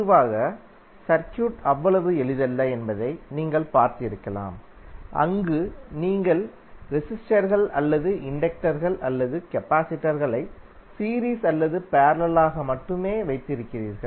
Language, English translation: Tamil, Generally, you might have seen that the circuit is not so simple, where you have only have the resistors or inductors or capacitors in series or in parallel